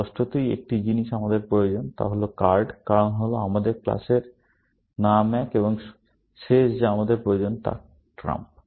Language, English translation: Bengali, Obviously, one thing we need is card, because that is one of our class names, and the last one that we need is trump